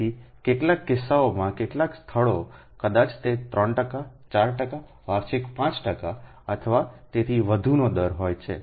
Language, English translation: Gujarati, so some cases, some places maybe, it is at a rate of three percent, four percent, five percent annually or even more